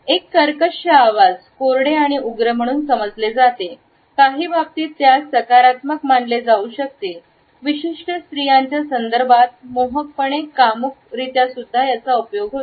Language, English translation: Marathi, A husky voice is understood as dry and rough, in some cases it can also be perceived positively as being seductively sensual in the context of certain women